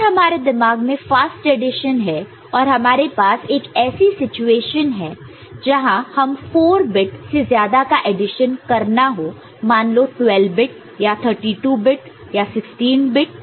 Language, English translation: Hindi, If we have got fast addition in our mind right and we are having a situation where more than 4 bit addition is required say maybe 12 bit, 32 bit, 16 bit or so